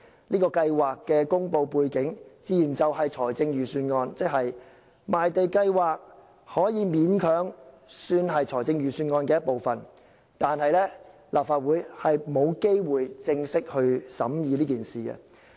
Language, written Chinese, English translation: Cantonese, 這項計劃的公布背景，自然就是預算案，即賣地計劃可以勉強算是預算案的一部分，但偏偏立法會沒有機會正式審議。, The background for announcing the Programme is naturally associated with the Budget meaning that the Programme can roughly be treated as part of the Budget . Yet the Legislative Council does not have a chance to formally scrutinize the Programme